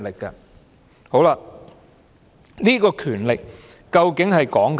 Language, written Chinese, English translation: Cantonese, 這個權力究竟是指甚麼？, What exactly are the powers of the Legislative Council?